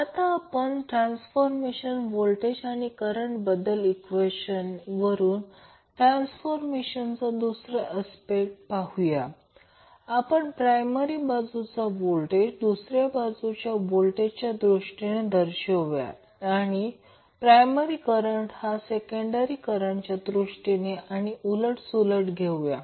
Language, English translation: Marathi, Now, let us see other aspects of the transformer using transformer voltage and current transformation equations, we can now represent voltage that is primary site voltage in terms of secondary site voltage and primary current in terms of secondary current or vice versa